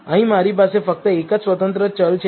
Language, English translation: Gujarati, Here I have only my one independent variable